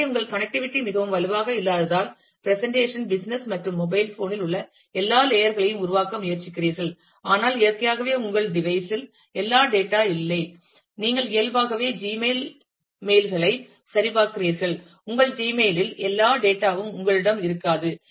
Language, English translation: Tamil, So, since your connectivity is not may not be very strong, you try to create all the layers of a presentation, business, as well as data on the mobile phone itself, but naturally all the data you will not have on your device ah, you are checking mails on the Gmail naturally, you will not have all the data on your Gmail